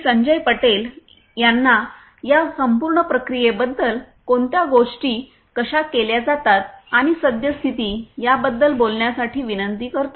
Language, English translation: Marathi, Sanjay Patel the managing director of this particular company to talk about the entire process, you know what things are done how it is done and the current state of the practice